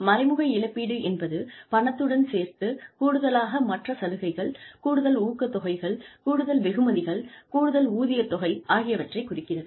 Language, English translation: Tamil, Indirect compensation refers to, the other benefits, additional incentives, additional rewards, additional remuneration, in addition to cash